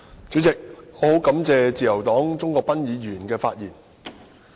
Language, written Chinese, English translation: Cantonese, 主席，我很感謝自由黨鍾國斌議員的發言。, President I thank Mr CHUNG Kwok - pan of the Liberal Party for his speech